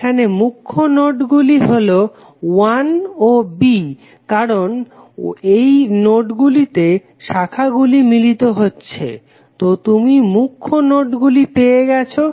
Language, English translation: Bengali, The principal nodes here are 1 and B because these are the only two nodes where number of branches connected at three, so you have got principal nodes